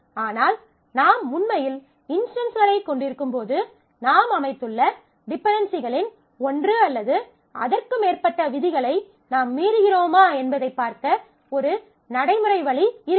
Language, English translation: Tamil, But because, while you will actually have instances there will not be a practical way, to see if you are violating any one or more of theserules of dependencies that you have set